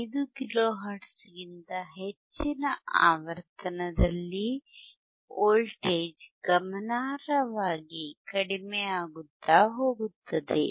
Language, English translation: Kannada, 5 kilo hertz again you will be able to see that the voltage is decreasing significantly